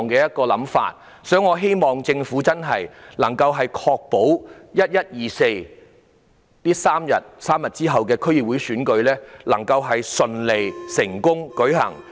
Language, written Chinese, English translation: Cantonese, 因此，我希望政府能夠確保11月24日，即3日後的區議會選舉能夠順利成功地舉行。, It is thus my wish for the Government to ensure that the DC Election to be held three days later on 24 November will be conducted smoothly and successfully